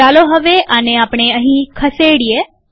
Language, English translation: Gujarati, Let us now shift this over here